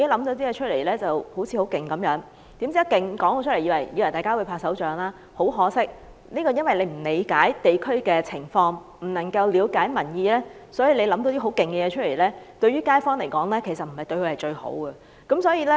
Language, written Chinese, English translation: Cantonese, 政府自以為構思很厲害，公布後會獲得大眾的掌聲，但很可惜，由於政府並不理解地區的情況，亦未能了解民意，故此，即便是很厲害的構思，對街坊來說也並非最好。, The Government was smug about its self - proclaimed brilliant idea thinking that it would be applauded by the public upon announcement . Regrettably the truth is that the Government simply failed to understand the local condition as well as the views of the public thus unable to produce the most desirable outcome in the eyes of the local residents no matter how brilliant the idea is